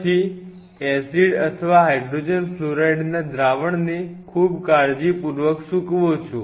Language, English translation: Gujarati, Then drain the acid or the hydrogen fluoride solution very carefully very carefully